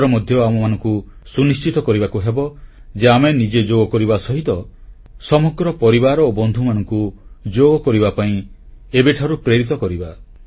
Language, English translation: Odia, This time too, we need to ensure that we do yoga ourselves and motivate our family, friends and all others from now itself to do yoga